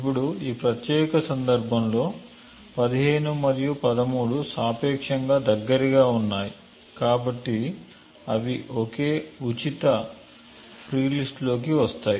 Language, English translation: Telugu, Now in this particular case 15 and 13 are relatively close, so they fall within the same free list